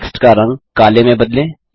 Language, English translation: Hindi, Lets change the color of the text to black